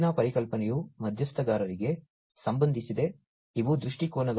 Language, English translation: Kannada, The next concept is linked to the stakeholders; these are the viewpoints